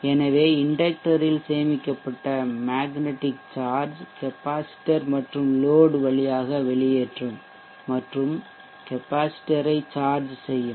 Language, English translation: Tamil, So you will see that the inductor the stored magnetic charge in the inductor will discharge both through the capacitor and the load